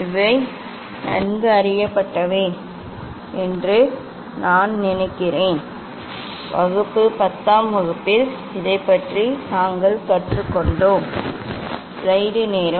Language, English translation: Tamil, these are well known I think class, in class 10 we have learned about this